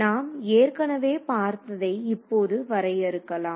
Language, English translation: Tamil, So, let us define something which you have already seen before ok